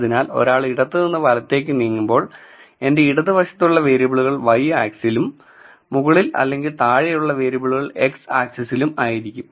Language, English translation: Malayalam, So, when one moves from left to right the variables on my left will be in the y axis and the variables above or below will be on the x axis